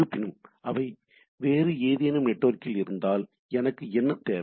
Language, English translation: Tamil, But however, if they are in the some other network then what I require